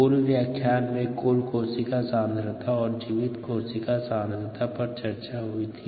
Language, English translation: Hindi, remember we talked about total cell concentration and viable cell concentration